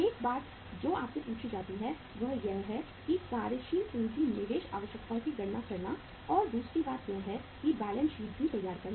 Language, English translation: Hindi, One thing you are asked is that is to calculate the working capital investment requirements and second thing is to prepare the balance sheet also